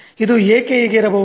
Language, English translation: Kannada, Now, why is it so